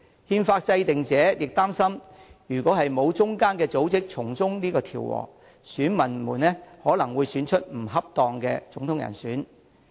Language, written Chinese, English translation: Cantonese, 憲法制定者亦擔心，如果沒有中間組織從中調和，選民可能會選出不恰當的總統人選。, The writers of the Constitution also worried that without an institution as a buffer the people might elect an inappropriate candidate as the President